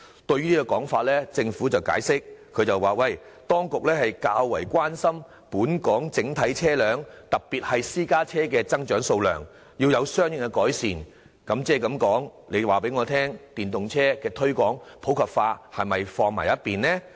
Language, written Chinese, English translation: Cantonese, 對此情況，政府解釋當局較關心本港整體車輛的數量增長，要有相應措施作出改善，這是否表示推廣電動車普及化的措施必須擱置？, In this connection the Government has explained that it is more concerned about the growth in the total number of vehicles in Hong Kong and measures have to be formulated accordingly to improve the situation . Does it necessarily mean that the Government has to shelve all measures to promote the popularization of EVs?